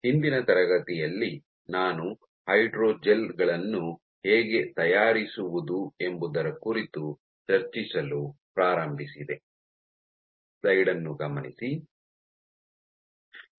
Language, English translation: Kannada, So, in the last class I started discussing about how to go about fabricating hydrogels